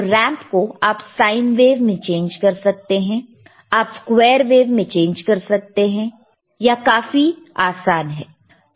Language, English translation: Hindi, So, ramp you can change to the sine wave, you can change the square wave, does not matter